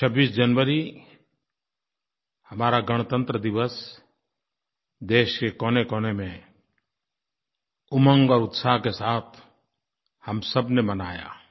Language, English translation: Hindi, 26th January, our Republic Day was celebrated with joy and enthusiasm in every nook and corner of the nation by all of us